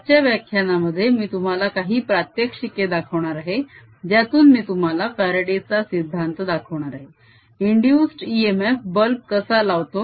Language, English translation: Marathi, in today's lecture i am going to show you some demonstrations whereby i'll show you faraday's law, how an induced e m f lights a bulb